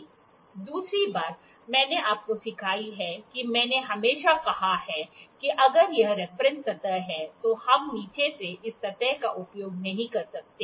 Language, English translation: Hindi, Second thing I have taught you I have always said that, if this is the reference surface, we need we cannot use this surface from the bottom